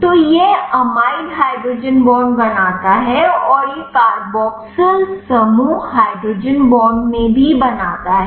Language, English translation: Hindi, So, this amide forms the hydrogen bond and this carboxyl group also forms in a hydrogen bond